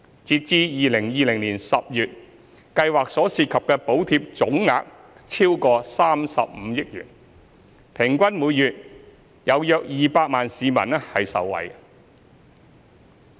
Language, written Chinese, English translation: Cantonese, 截至2020年10月，計劃所涉及的補貼總額超過35億元，平均每月約200萬名市民受惠。, As at October 2020 the total subsidy amount involved in the Scheme was over 3.5 billion benefiting an average of around 2 million people per month